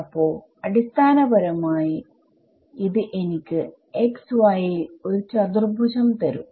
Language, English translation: Malayalam, So, basically this is going to give me a quadratic in x y